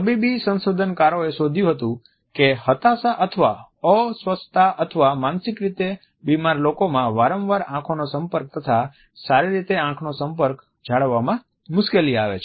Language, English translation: Gujarati, Medical researchers have found that amongst people who are depressed or anxious or psychotic, there is a difficulty in maintaining a good and frequent eye contact